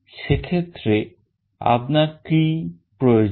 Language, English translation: Bengali, In that case what do you require